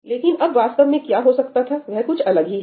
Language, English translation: Hindi, But now, what could have actually happened is something different, right